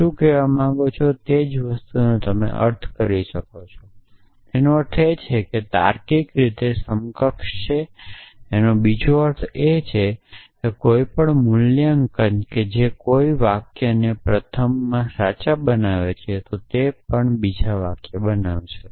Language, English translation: Gujarati, What do you mean by you can express the same thing you mean that they are logically equivalent which mean that any valuation which makes any sentence true in the first one will also make the second sentence